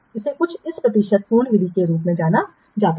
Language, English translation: Hindi, This is something known as the percentage complete